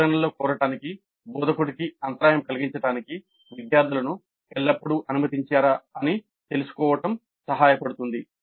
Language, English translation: Telugu, So it is helpful to know whether the students are always allowed to interrupt the instructor to seek clarifications